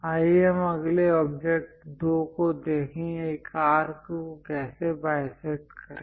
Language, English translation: Hindi, Let us look at next object 2; how to bisect an arc